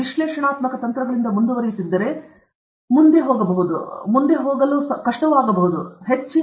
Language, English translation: Kannada, So, if you proceed from analytical techniques, the next will be a